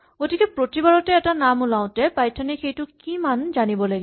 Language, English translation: Assamese, So every time a name pops us Python needs to know what value it is